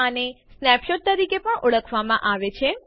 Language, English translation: Gujarati, This is also known as a snapshot